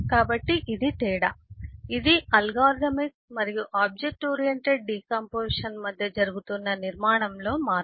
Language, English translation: Telugu, this is the difference, this is the change in structure that is happening between the algorithmic and the object oriented decomposition